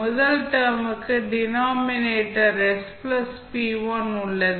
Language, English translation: Tamil, The first term has the denominator s plus p1